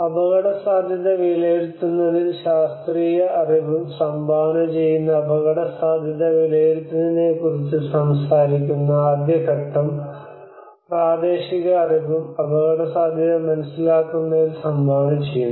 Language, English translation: Malayalam, The first stage which talks about the risk assessment where the scientific knowledge also contributes in analysing the risk, and also the local knowledge also contributes in understanding the risk